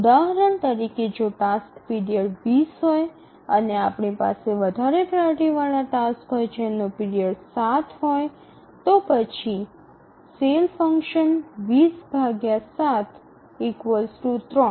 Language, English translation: Gujarati, For example, if the task period is 20 and we have a higher priority task whose period is 7